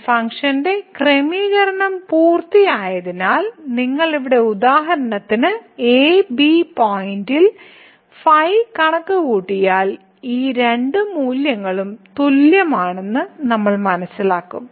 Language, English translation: Malayalam, So, for the setting of this function is done because if you compute here for example, the at the point and at the point then we will realize that these two values are also equal